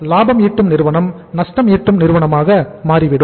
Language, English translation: Tamil, And profitmaking company can become a lossmaking company